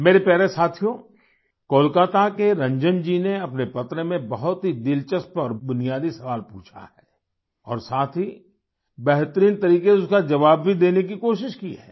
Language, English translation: Hindi, Ranjan ji from Kolkata, in his letter, has raised a very interesting and fundamental question and along with that, has tried to answer it in the best way